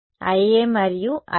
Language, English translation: Telugu, I A and I B